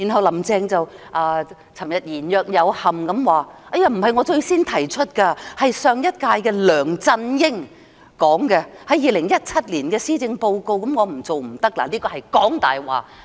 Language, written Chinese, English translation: Cantonese, "林鄭"昨天言若有憾地說，這不是她最先提出，而是上屆特首梁振英在2017年施政報告提出的，她不得不做，她這樣是講大話。, It was LEUNG Chun - ying the Chief Executive of the previous term who proposed such a policy in the 2017 Policy Address . She had no choice but to implement it . She was lying